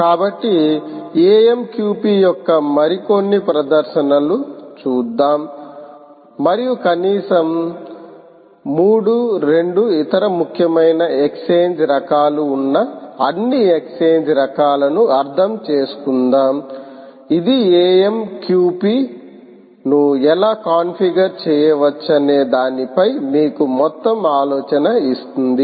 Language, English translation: Telugu, so, ah, lets do a few more demonstrations of amqp and lets understand all the possible exchange types which are there, at least three, two other important exchange types which will give you an overall idea of how amqp can be configured